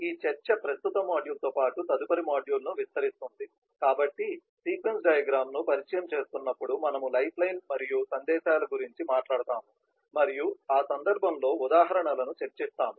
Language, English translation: Telugu, this discussion will span the current module as well as the next module, so while introducing the sequence diagram, we will talk about the lifeline and messages and discuss examples in that context and in the next module, we will talk about the interaction fragments and some more examples